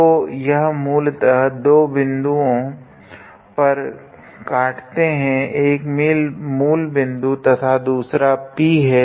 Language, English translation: Hindi, So, they basically intersect at two points; first at origin and then the second one at P